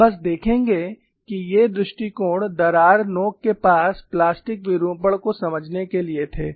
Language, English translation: Hindi, We will just see that, these two approaches were there to understand the plastic deformation near the crack tip